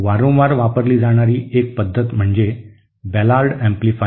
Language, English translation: Marathi, So one method that is frequently used is what is called the Ballard amplifier